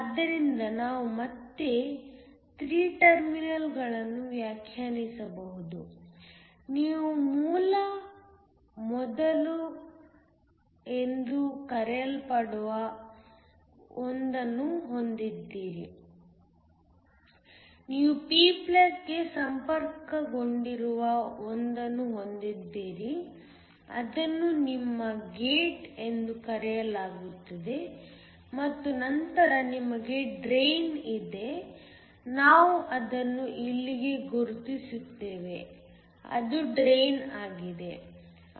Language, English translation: Kannada, So, We can again define 3 terminals, you have one that is called a Source, you have one that is connected to the p+ it is called your Gate and then you have a drain, we just mark it here it is drain